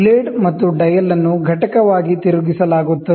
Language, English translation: Kannada, The blade and the dial are rotated as the unit